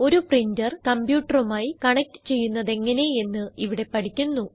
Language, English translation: Malayalam, In this tutorial, we will learn to connect a printer to a computer